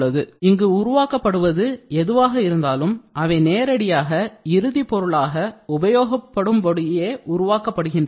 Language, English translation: Tamil, So, whatever gets generated from here it is directly used as a final product for usage